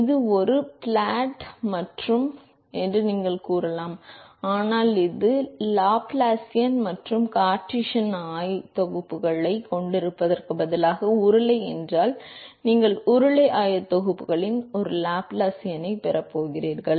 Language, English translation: Tamil, We didn’t assume we only said that it is a fa flat plate, but if let us say if it is cylinder instead of having a Laplacian and cartesian coordinates, you are going to have a Laplacian in cylindrical coordinates